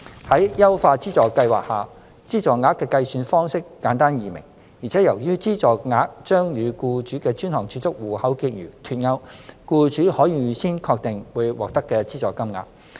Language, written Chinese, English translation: Cantonese, 在優化資助計劃下，資助額的計算方式簡單易明，而且由於資助額將與僱主的專項儲蓄戶口結餘脫鈎，僱主可預先確定會獲得的資助金額。, Under the refined subsidy scheme the calculation of subsidy will be simpler and easier to understand . As the calculation of subsidy will be delinked from the balance of employers DSAs employers can ascertain in advance the amount of subsidy to be received